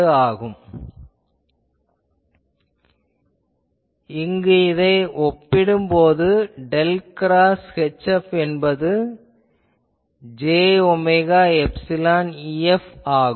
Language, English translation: Tamil, So, here I can put and that gives me del cross H F is j omega epsilon E F